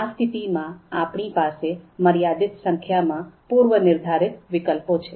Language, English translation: Gujarati, So therefore, we will have limited number of predetermined alternatives